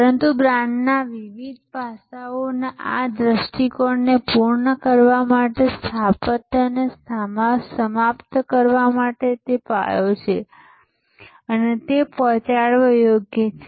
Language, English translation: Gujarati, But to conclude this architecture to conclude this view of different aspects of brand, it is foundation and it is deliverable